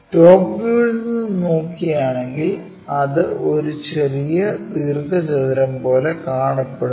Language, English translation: Malayalam, If we are looking from top view it looks like a smaller kind of rectangle